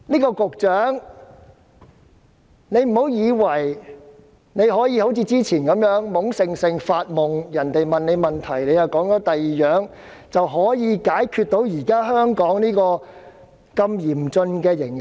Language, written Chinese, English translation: Cantonese, 局長不要以為可以一如以往般懵懵懂懂發夢，答非所問，便可以解決香港現時嚴峻的形勢。, The Secretary should not think that with the same muddled daydreaming mind and attitude of giving answers that are totally irrelevant to the question as before the prevailing dire situation in Hong Kong can be resolved